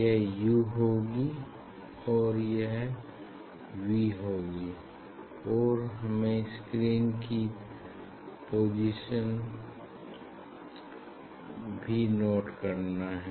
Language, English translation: Hindi, this will be u, and this will be v and this also I have to note down the position of the screen